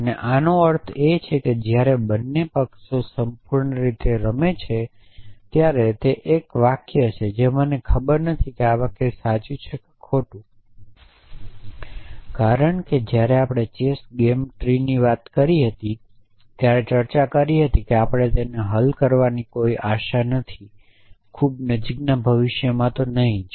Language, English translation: Gujarati, And by this I mean when both sides play perfectly it is a sentence I do not know whether this sentences true or false, because as we discussed when we talking about playing the chess game tree so huge that we have no hope of solving it at least not in the very near future